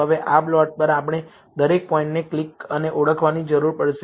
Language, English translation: Gujarati, Now, on this plot, we will need to click and identify each of the points